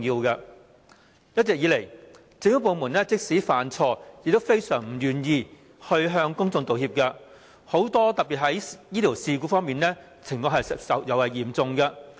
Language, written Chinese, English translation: Cantonese, 一直以來，政府部門即使犯錯也非常不願意向公眾道歉，特別在醫療事故方面，情況尤為嚴重。, Government departments have all along been very reluctant to offer apologies to the public even though they have made mistakes and the situation is particularly serious in the handling of complaints about medical incidents